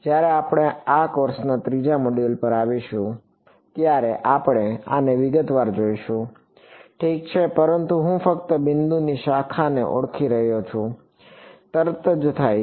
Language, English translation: Gujarati, We will look at these in detail when we come to the third module of the this course ok, but I am just identifying a branch of point which happens right over